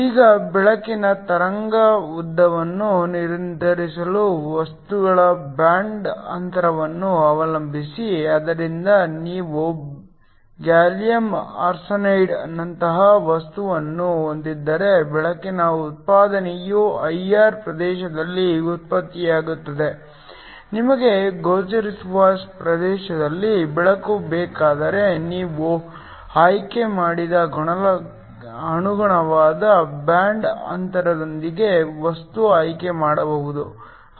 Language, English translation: Kannada, Now, depending upon the band gap of the material that determines the wave length of the light, so if you have a material like gallium arsenide then the light output is produced in the IR region, if you want light in the visible region you chose a material with the corresponding band gap